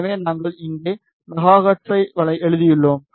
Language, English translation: Tamil, So, we have written here the megahertz